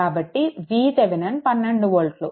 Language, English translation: Telugu, So, I will V Thevenin is equal to 12 volt